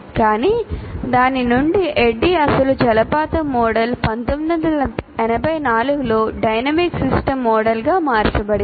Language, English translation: Telugu, But ADI from its original waterfall model changed to dynamic system model in 1984